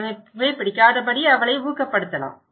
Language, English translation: Tamil, So, maybe we can discourage her not to smoke